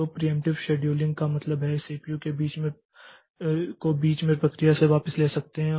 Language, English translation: Hindi, So, in the preemptive scheduling it can raise, so this is this means that you can take the CPU back from the process in between